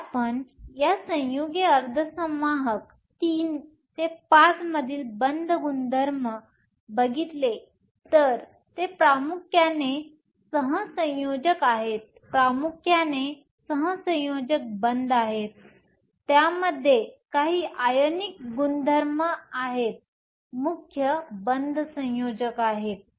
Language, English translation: Marathi, If you look at the bonding character in this compound semiconductors III V are mainly covalent, mainly have covalent bonding, they do have some ionic character in them the main bonding is covalent